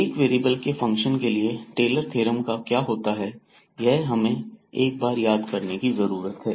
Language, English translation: Hindi, So, what is the Taylors theorem of function of single variables we need to just recall